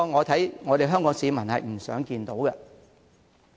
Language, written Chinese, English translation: Cantonese, 這是香港市民不想看到的。, This is not what Hong Kong people wish to see